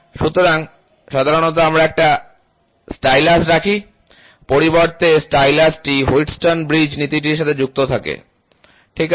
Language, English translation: Bengali, So, generally we keep a stylus, the stylus in turn is attached to the Wheatstone bridge principle, ok